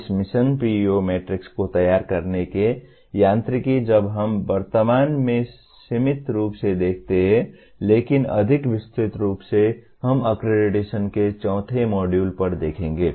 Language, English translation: Hindi, The mechanics of preparing this Mission PEO matrix while we see in a limited extent in the presently but more elaborately when we come to the fourth module on accreditation